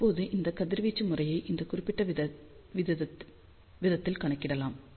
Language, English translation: Tamil, Now, this radiation pattern can be calculated in this particular fashion